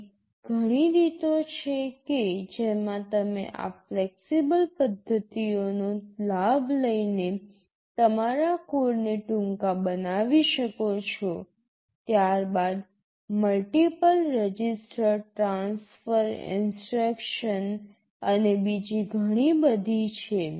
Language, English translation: Gujarati, There are many ways in which you can make your code shorter by taking advantage of these flexible methods, then the multiple register transfer instructions, and so on